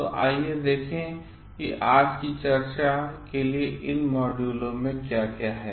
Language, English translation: Hindi, So, let us see what is there in these modules for today's discussion